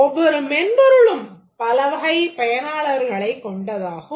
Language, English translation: Tamil, Each software has various categories of users